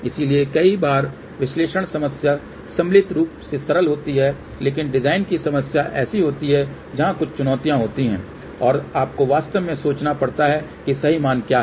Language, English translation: Hindi, So, many a times analysis problem is relatively simple , but design problem is where there at certain challenges and you have to really think what value is the perfect value